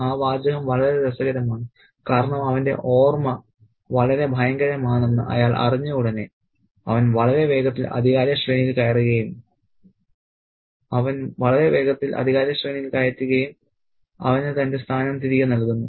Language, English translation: Malayalam, That phrase is very interesting because as soon as he knows that his memory is terribly valuable, he just very quickly ascends the power hierarchy and he gets his thrown back so to speak